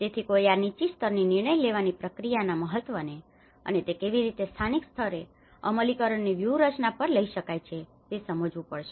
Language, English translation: Gujarati, So, one has to understand that importance of this policy level decision making process and how it can be taken to the local level implementation strategies